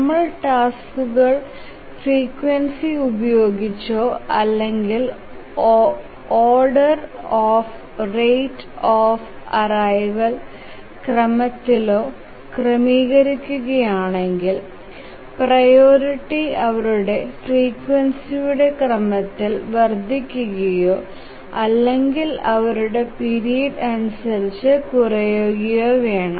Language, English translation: Malayalam, So if the frequency or the rate of arrival or whatever we give name to this, if we arrange the tasks in this order, then the priority should be increasing in order of their frequency or decreasing in terms of their period